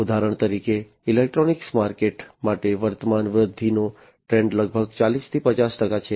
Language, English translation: Gujarati, So, for example for electronics market, the current growth trend is about 40 to 50 percent